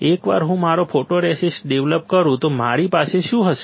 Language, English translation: Gujarati, Once I develop my photoresist what will I have